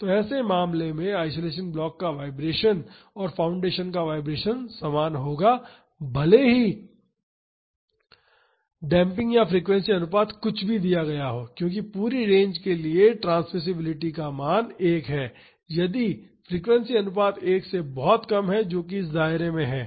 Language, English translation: Hindi, So, in such case the vibration of the isolation block and the vibration of the foundation will be equal to same irrespective of the damping provided or the frequency ratio because for the whole range the transmissibility value is 1 if the frequency ratio is much less than 1 that is in this range